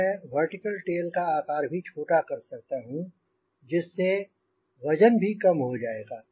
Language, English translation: Hindi, so i can reduce the size of the vertical tail, so there is as reduction in the weight